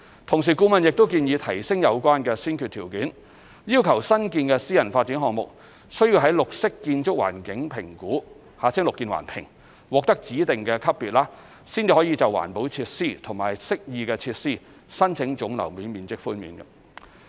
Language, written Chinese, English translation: Cantonese, 同時，顧問亦建議提升有關先決條件，要求新建私人發展項目須於綠色建築環境評估獲得指定級別，才可就環保設施及適意設施申請總樓面面積寬免。, In addition the consultant recommended tightening the prerequisite by requiring new private development projects to achieve a specific rating under the Building Environmental Assessment Method Plus BEAM Plus in order to apply for GFA concessions for green and amenity features